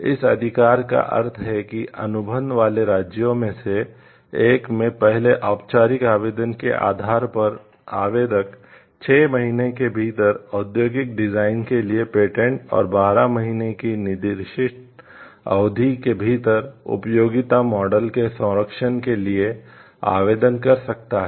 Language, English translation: Hindi, This right means that on the basis of a regular first application filed in one of the contracting states, the applicant me within a certain period of time 12 months for patents and utility models, 6 months for industrial design and marks apply for protection in any of the other contracting states